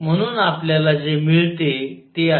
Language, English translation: Marathi, So, what we get is